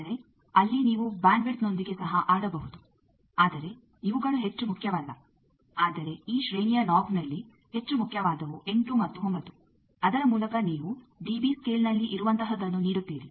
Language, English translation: Kannada, But there you can play with the bandwidth also, but these are not more important, but the more important at this range knob, that 8 and 9 by which, you give that what are the in dB scale